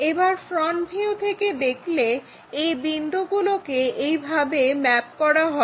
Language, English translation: Bengali, So, when we are looking front view, these points mapped all the way to that one